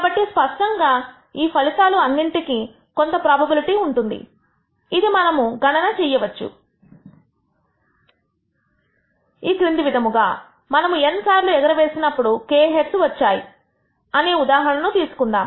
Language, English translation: Telugu, So, clearly each of these outcomes have a certain probability which we can compute and this probability can be computed as follows: let us take the case of k heads in n tosses